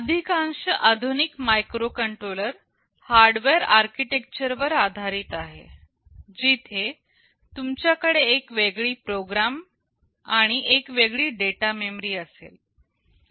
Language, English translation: Marathi, Most of the modern microcontrollers are based on the Harvard architecture, where you will be having a separate program memory and a separate data memory